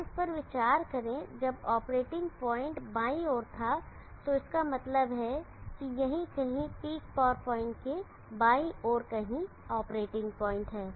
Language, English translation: Hindi, Now consider this when the operating point was on the left means the left of the peak power point somewhere here the operating point is there